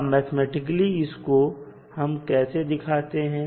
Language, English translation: Hindi, Mathematically, how we represent